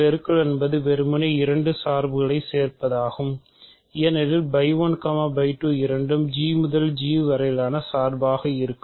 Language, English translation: Tamil, Multiplication is simply composition, composition of two functions because phi 1 phi 2 are both functions from G to G right